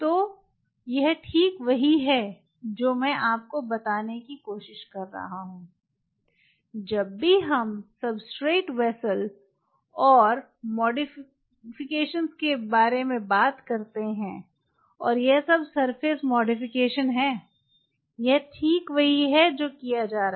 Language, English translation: Hindi, so this is precisely what i am trying to tell you is, whenever we talk about the substrate, vessel and modifications, and all this is surface modification [vocalized noise]